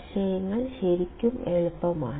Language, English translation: Malayalam, Concepts are really easy